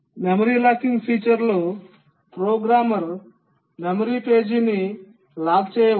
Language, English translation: Telugu, In the memory locking feature the programmer can lock a memory page